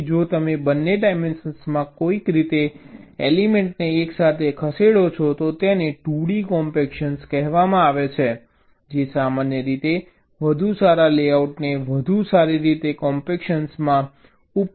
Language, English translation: Gujarati, so if you move the elements simultaneously in some way in both the dimensions, this is called two d compaction, which in general can result in better layouts, better compaction